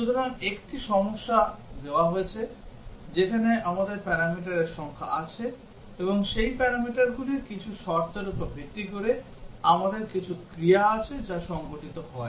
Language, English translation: Bengali, So, given a problem, where we have number of parameters, and based on some conditions on those parameters, we have some actions that take place